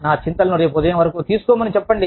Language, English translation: Telugu, Please hold on my worries, till tomorrow morning